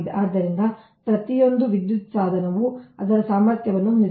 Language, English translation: Kannada, so each electrical device has its rated capacity